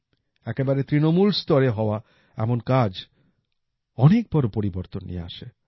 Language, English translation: Bengali, Such efforts made at the grassroots level can bring huge changes